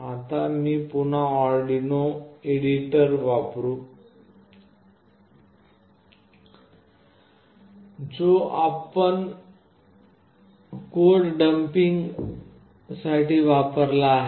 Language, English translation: Marathi, Now I will again use the Arduino editor, which we have used for dumping the code